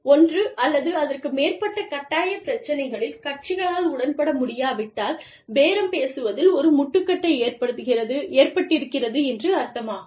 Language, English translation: Tamil, If the parties cannot agree, on one or more mandatory issues, they have reached an impasse, in bargaining